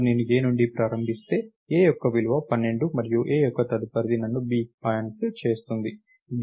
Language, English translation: Telugu, Now, if I start from A, so, A’s value is 12 and A’s next will point me to B